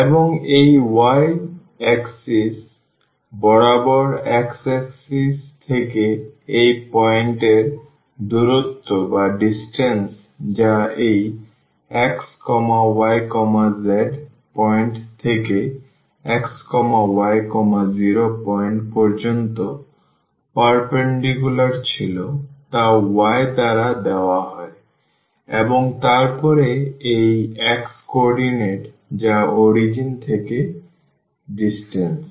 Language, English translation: Bengali, And, from the x axis along this y axis the distance of this point which was the perpendicular from this xyz point to the xy point is given by the y and then this x coordinate that is the distance from the origin